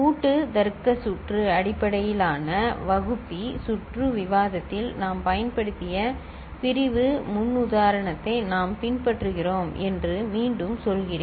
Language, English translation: Tamil, Again I say that we are following the division paradigm that we had used in the combinatorial logic circuit based divider circuit discussion